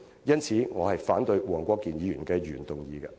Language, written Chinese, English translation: Cantonese, 因此，我反對黃國健議員的原議案。, Hence I oppose Mr WONG Kwok - kins original motion